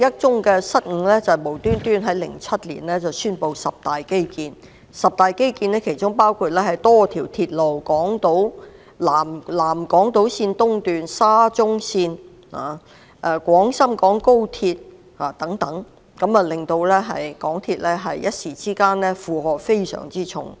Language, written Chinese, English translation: Cantonese, 此外，當局無故在2007年宣布進行十大基建，當中包括多條鐵路如南港島線東段、沙中線和廣深港高速鐵路等，令港鐵公司的負荷突然加重不少。, Besides the Government suddenly announced in 2007 the implementation of 10 major infrastructure projects including the construction of a number of railway lines such as the South Island Line East SCL and the local section of the Guangzhou - Shenzhen - Hong Kong Express Rail Link which has put MTRCL under a heavy burden of work all of a sudden